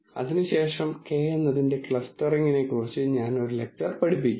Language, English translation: Malayalam, And after that I will teach a lecture on k means clustering